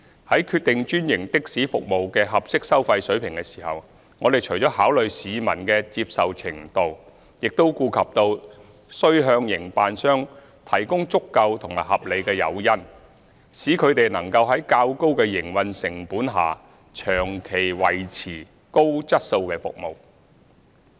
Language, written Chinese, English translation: Cantonese, 在決定專營的士服務的合適收費水平時，我們除了考慮市民的接受程度，亦顧及到須向營辦商提供足夠和合理誘因，使他們能夠在較高的營運成本下長期維持高質素的服務。, In determining the appropriate fare level of franchised taxi services apart from public acceptability we have taken into account the need to provide adequate and reasonable incentives for operators to maintain high quality services in a sustainable manner despite higher operating costs